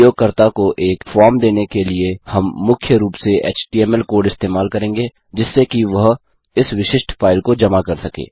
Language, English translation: Hindi, We will be mainly using html code to give a form to the user to submit this particular file